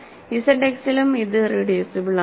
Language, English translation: Malayalam, So, f X is also irreducible